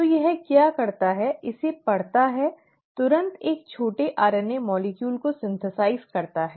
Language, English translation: Hindi, So what it does is, reads this, immediately synthesises a small RNA molecule